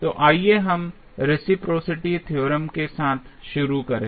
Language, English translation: Hindi, So, let us start with the reciprocity theorem